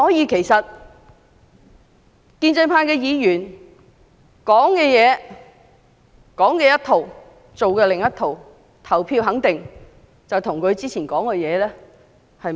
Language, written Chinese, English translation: Cantonese, 其實建制派議員說一套、做一套，表決時肯定與他們之前所說的不符。, Members from the pro - establishment camp actually do not practise what they preach who will definitely vote in a way that contradicts what they said before